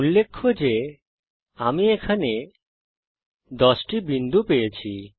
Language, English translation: Bengali, notice I get 10 points here